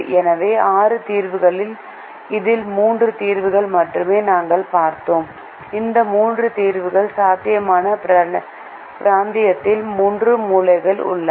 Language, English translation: Tamil, so out of these six solutions we looked at only three solutions in this and those three solutions are the three corner points in the feasible region